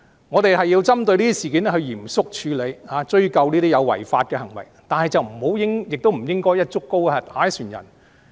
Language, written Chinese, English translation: Cantonese, 我們要針對這些事件嚴肅處理，追究這些違法行為，但不應該"一竹篙打一船人"。, We have to handle these incidents solemnly in a focused manner and attribute accountability for such unlawful actions . Yet we should not make sweeping generalizations